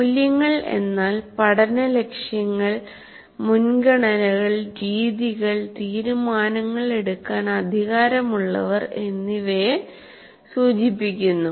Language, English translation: Malayalam, Now the values refer to learning goals, priorities, methods, and who has the power in making decisions